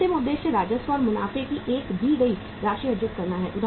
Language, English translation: Hindi, Ultimate objective is to earn a given amount of the revenue and the profits